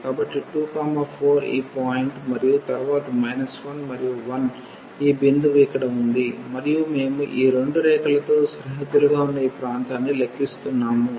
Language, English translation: Telugu, So, 2 comma 4 is this point and then minus 1 and 1 is this point here and we are computing this area bounded by these two curves